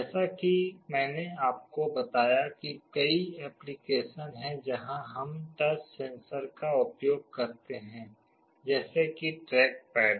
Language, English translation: Hindi, As I told you there are many applications where we use touch sensors; like track pads